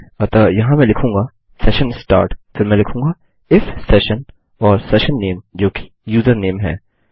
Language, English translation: Hindi, So, here Ill say session start then Ill say if session and the session name which is username